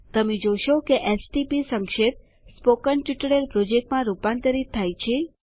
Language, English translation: Gujarati, You will notice that the stp abbreviation gets converted to Spoken Tutorial Project